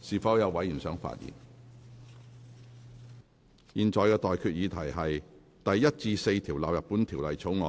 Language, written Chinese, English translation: Cantonese, 我現在向各位提出的待決議題是：第1至4條納入本條例草案。, I now put the question to you and that is That clauses 1 to 4 stand part of the Bill